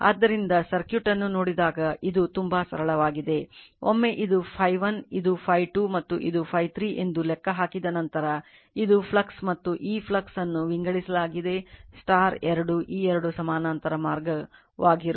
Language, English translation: Kannada, So, when you look at the circuit look at the things are very simple once you have calculated look at that this is phi 1, this is phi 2 and this is the phi 3, that the this is the flux and this flux is divided into 2 this 2 are parallel path right